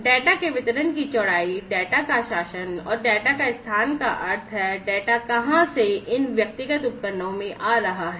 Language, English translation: Hindi, Breadth of distribution of the data, governance of the data, and the location of the data meaning that where from the data are coming from these individual devices